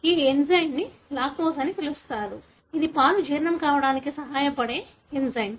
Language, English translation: Telugu, This enzyme is called as lactase, an enzyme which helps in digesting the milk